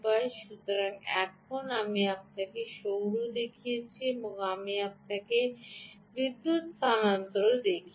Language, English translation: Bengali, ok, so now i showed you solar, i showed you ah on power transfer